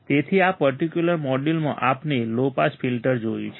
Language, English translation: Gujarati, So, in this particular module, we have seen low pass filter